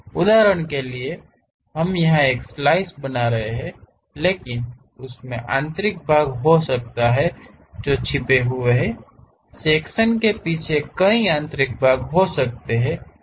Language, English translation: Hindi, For example, we are making a slice here, but there might be internal parts which are hidden; somewhere here behind the section there might be internal parts